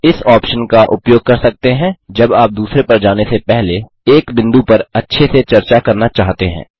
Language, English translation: Hindi, You can use this option when you want to thoroughly discuss one point, before moving on to the next